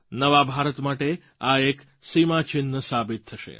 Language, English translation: Gujarati, It will prove to be a milestone for New India